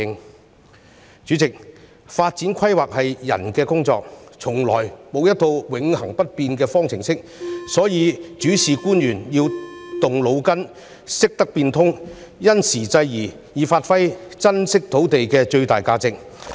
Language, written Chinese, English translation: Cantonese, 代理主席，發展規劃是人的工作，從來沒有一套永恆不變的方程式，所以主事官員要動腦筋，懂得變通，因時制宜，以發揮珍貴土地的最大價值。, Deputy President planning for development is a human job and there is no unchanging formula at all . Thus the officials in charge must think be flexible and adapt to the current conditions to make the best use of the precious land resources